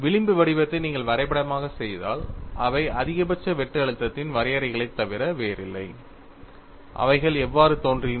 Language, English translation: Tamil, If you plot the fringe pattern, which are nothing but contours of maximum shear stress; they appeared like this